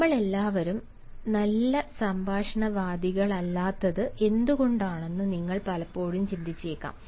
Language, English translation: Malayalam, you may often wonder why all of us are not good conversationalists